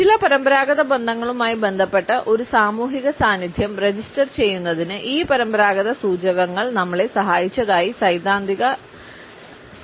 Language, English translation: Malayalam, The theoretical approach felt that these conventional cues helped us in registering a social presence that is associated with certain levels of association